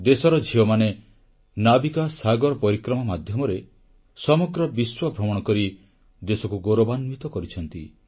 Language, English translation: Odia, Daughters of the country have done her proud by circumnavigating the globe through the NavikaSagarParikrama